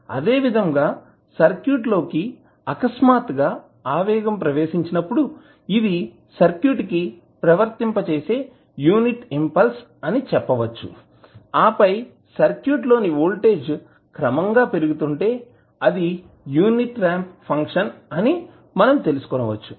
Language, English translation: Telugu, Similarly, when there is a sudden search coming into the circuit, then you will say this is the unit impulse being applied to the circuit and then if the voltage is building up gradually to the in the circuit then, you will say that is can be represented with the help of unit ramp function